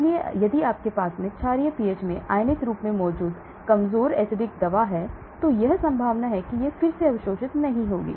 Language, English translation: Hindi, So if you have more weak acid drug present in ionised form in alkaline pH, chances are it will not get re absorbed